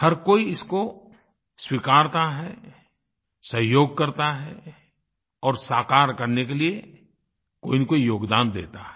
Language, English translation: Hindi, Everyone accepts this, cooperates in this and makes a contribution in realizing this